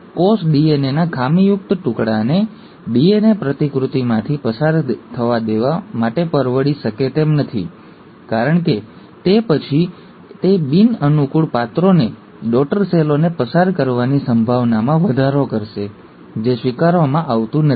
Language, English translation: Gujarati, A cell cannot afford to allow a faulty piece of DNA to undergo DNA replication because then, it will enhance the chances of passing on the non favourable characters to the daughter cells, which is not accepted